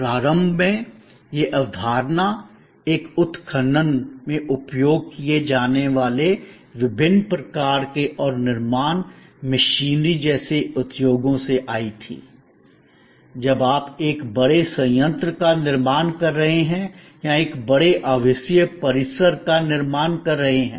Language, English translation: Hindi, Initially, this concept came about from industries like earth moving machinery in a excavation and various other kinds of construction machinery that are used, when you are creating a large plant or creating a large residential complex